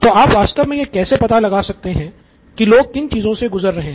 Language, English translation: Hindi, So how do you really find out what people are going through